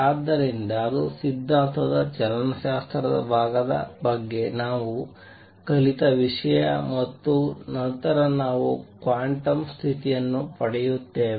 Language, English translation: Kannada, So, that much is something that we have learned about the kinematic part of the theory, and then we obtain the quantum condition